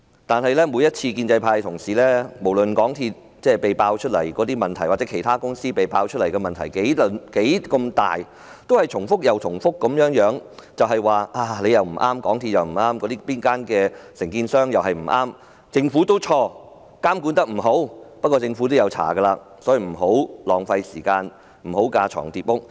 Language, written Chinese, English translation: Cantonese, 但是，每次無論香港鐵路有限公司或其他承建商被揭發的問題有多大，建制派同事也只是重複地說：港鐵公司不對，承建商也不對，政府也有錯，監管不力，不過，政府已在調查，所以立法會不應浪費時間再進行調查，不應架床疊屋。, However no matter how serious a problem exposed of the MTR Corporation Limited MTRCL or other contractors Honourable colleagues from the pro - establishment camp would only repeat MTRCL is not right and neither are the contractors and the Government is at fault too for failing to enforce effective monitoring; but the Government is conducting an inquiry and so the Legislative Council should not waste more time conducting another inquiry on its own so as not to duplicate efforts